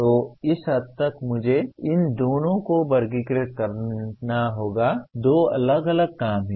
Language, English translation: Hindi, So to that extent I have to classify these two are two different works